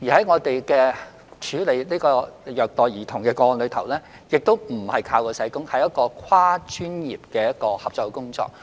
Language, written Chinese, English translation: Cantonese, 我們處理虐待兒童個案時，亦非單靠社工，而是有跨專業的合作。, In the handling of child abuse cases social workers are not alone as there are also cross - professional cooperation